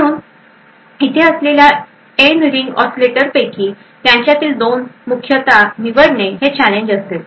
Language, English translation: Marathi, So a challenge over here would essentially pick choose 2 ring oscillators out of the N oscillators